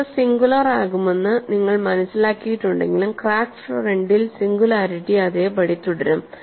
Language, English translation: Malayalam, We have understood stresses would be singular, but the singularity would remain same on the crack front